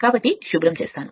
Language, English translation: Telugu, So, just let me clear it